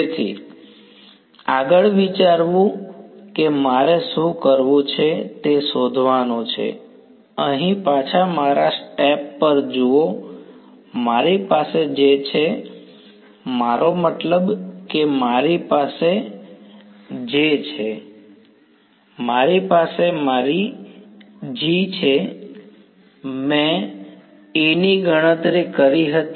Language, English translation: Gujarati, So, the next think that I have to do is find out so, look back over here at the steps I had do I have my J now; I mean I had my J, I had my G, I calculated A